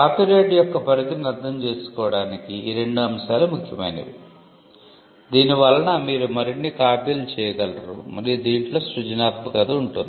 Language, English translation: Telugu, So, these two concepts are important to understand the scope of copyright the fact that you can make more copies and it subsists in creative works